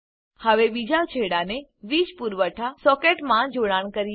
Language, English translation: Gujarati, Now, connect the other end to a power supply socket